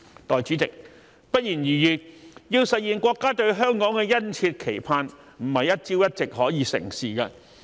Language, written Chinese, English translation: Cantonese, 代理主席，不言而喻，要實現國家對香港的殷切期盼，非一朝一夕可以成事。, Deputy President it is natural that the realization of our countrys earnest expectations of Hong Kong cannot be achieved overnight